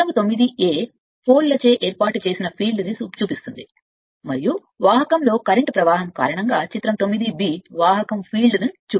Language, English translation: Telugu, Figure 9 a shows the field set up by the poles, and figure 9 b shows the conductor field due to flow of current in the conductor